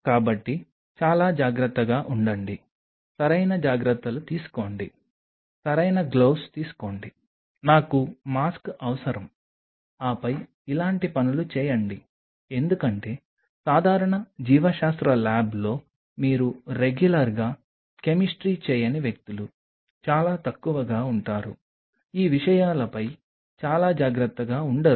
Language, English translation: Telugu, So, be very careful take proper care, proper gloves, I would necessary mask, and then do these kinds of things because in a regular biology lab where you are not doing chemistry on regular basis people are little you know not very careful on these matters